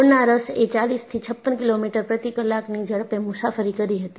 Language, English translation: Gujarati, And, the molasses travelled with a speed of 40 to 56 kilometers per hour